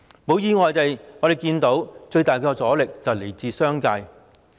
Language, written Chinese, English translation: Cantonese, 一如意料，最大的阻力來自商界。, As expected the greatest resistance comes from the business sector